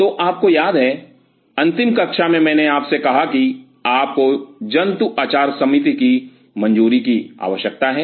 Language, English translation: Hindi, So, you remember in the last class I told you that you needed the animal ethics committee clearance